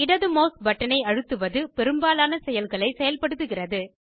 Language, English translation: Tamil, Pressing the left mouse button, activates most actions